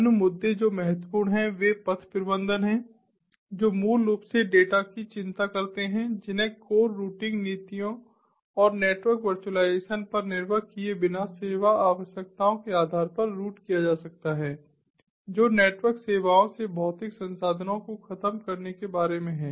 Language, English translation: Hindi, other issues which are also important are path management, which concerns basically data that can be routed based on service requirements without depending on the core routing policies, and network virtualization, which is about abstracting the physical resources from the network services